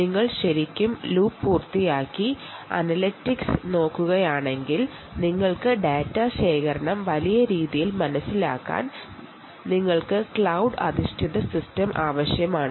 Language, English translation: Malayalam, if you are really looking at completing the loop and looking at analytics and you are looking at ah, trying to understand data collection in a big way, you obviously need a cloud based system, right